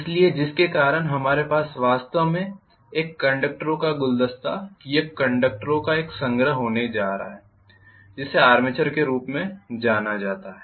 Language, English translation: Hindi, So because of which we are going to actually have a bouquet of conductors or a collection of a conductors, which is known as armature